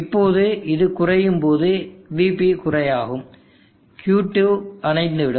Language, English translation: Tamil, Now when this goes slow VG goes slow, Q2 goes off